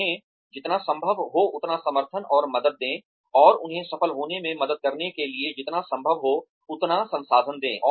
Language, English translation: Hindi, Give them, as much support and help, and as many resources as possible, to help them succeed